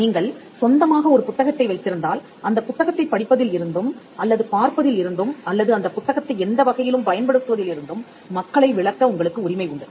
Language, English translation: Tamil, If you own a book, you have the right to exclude people from reading that book or from looking into that book, or from using that book in any way